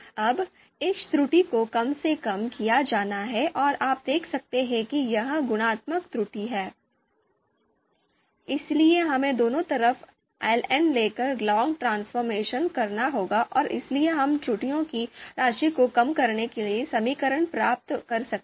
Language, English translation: Hindi, So now this error is to be minimized and you you can see this is multiplicative error, therefore we will have to take, do the log transformation we can take ln on both sides and therefore we can derive the you know equations for minimization of sum of errors